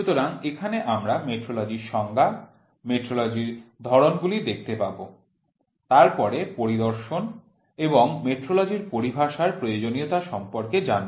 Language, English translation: Bengali, So, in this we will see metrology definition, metrology types then need for inspection and metrology terminologies